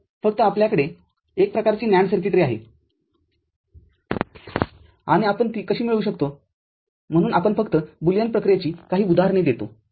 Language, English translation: Marathi, So, NAND you just having only one kind of circuitry and how we can achieve it so, we just give some examples of basic, Boolean operations